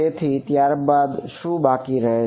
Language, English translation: Gujarati, So, what is left then